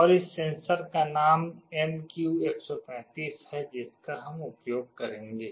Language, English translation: Hindi, And the name of this sensor is MQ135 that we shall be using